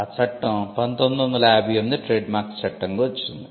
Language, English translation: Telugu, So, the act the first act that we have is the Trademarks Act, 1958